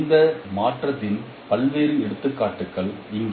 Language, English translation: Tamil, There are various examples of this transformation